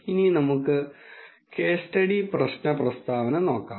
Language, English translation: Malayalam, Now, let us de ne the case study problem statement